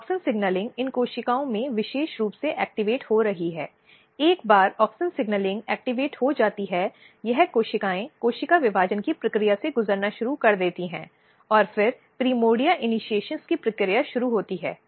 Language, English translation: Hindi, So, basically this auxin or auxin signalling is getting activated very specifically in these cells once auxin signalling is activated this cells start undergoing the process of cell division there is cell division here, and then the process of primordia initiations begins